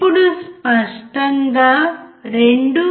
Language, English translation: Telugu, Now let us write clearly 2